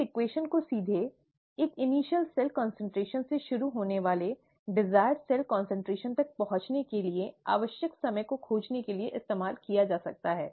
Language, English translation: Hindi, This equation can directly be used to find the time that is needed to reach a desired cell concentration, starting from a certain initial cell concentration